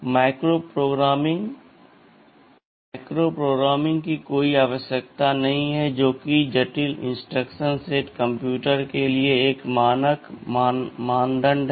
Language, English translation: Hindi, TSo, there is no need for micro programming which that is a standard norm for the complex instruction set computers